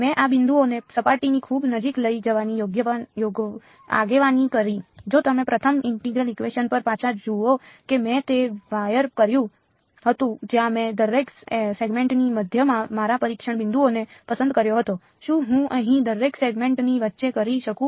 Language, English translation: Gujarati, I led these points go very close to the surface, if you look thing back at the first integral equation that I did that wire where did I pick my testing points middle of each segment; can I do middle of each segment here